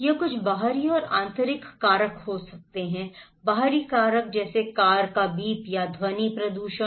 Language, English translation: Hindi, It could be some external and internal factors, external factors like the beep of car or sound pollutions